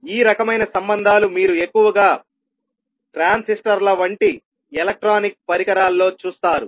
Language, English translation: Telugu, So, these kind of relationships you will see mostly in the electronic devices such as transistors